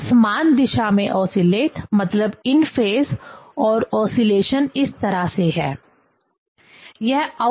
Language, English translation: Hindi, So, oscillate in same direction, that is the in phase and oscillation like this